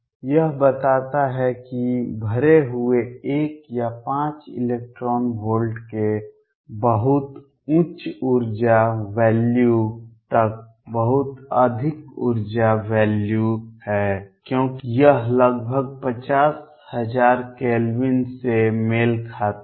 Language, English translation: Hindi, This states that are filled are all the way up to a very high energy value of 1 or 5 electron volts very high energy value because this corresponds roughly 50000 Kelvin